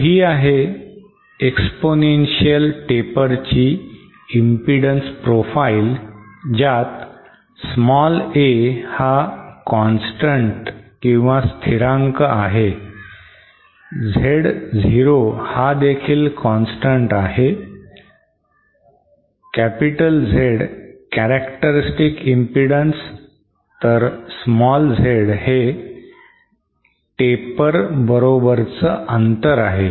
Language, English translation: Marathi, So exponential paper has an impedance profile like this where A is a constant, Z 0 is also constant, Z capital is the characteristic impedance small Z is the distance along the taper